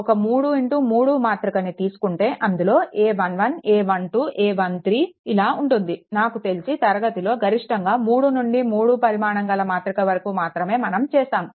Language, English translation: Telugu, For a 3 into 3 matrix it is suppose a 1 1, a 1 2, a 1 3 look in the classroom for pass, I think maximum we will solve upto 3 into 3